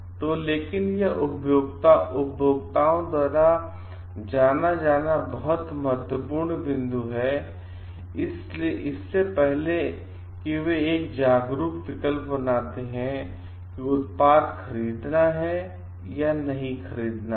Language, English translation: Hindi, So, but those are very important points to be known by the consumers before they make a conscious choice of whether to go for the product or not to go for the product